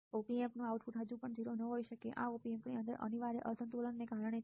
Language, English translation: Gujarati, The output of the Op Amp may not be still 0, this is due to unavoidable imbalances inside the Op Amp